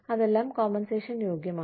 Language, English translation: Malayalam, All of that, qualifies as compensation